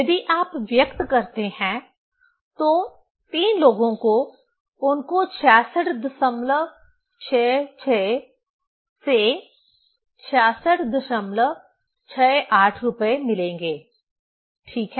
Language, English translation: Hindi, If you express that three people, they will get money from 66